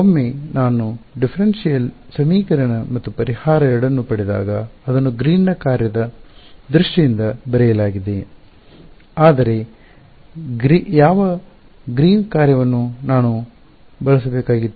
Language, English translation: Kannada, Well once I got the differential equation and the solution 2 it was written in terms of Green’s function as a convolution, but which Green’s function did I have to use